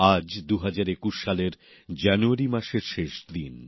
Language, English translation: Bengali, Today is the last day of January 2021